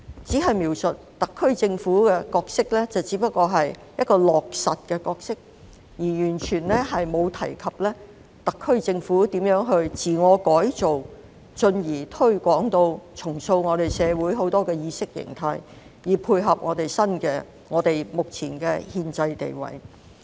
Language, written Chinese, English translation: Cantonese, 他所描述特區政府的角色，只不過是一個落實的角色，而完全沒有提及特區政府如何自我改造，進而重塑我們社會眾多的意識形態，以配合我們目前的憲制地位。, In his description Hong Kong only plays the role of an implementer and there is not a word on how the SAR Government transforms itself and then remoulds the many concepts in the ideology of our society in order to be in line with our current constitutional status